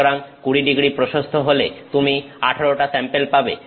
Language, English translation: Bengali, So, I am if 20º wide samples then you have 18 samples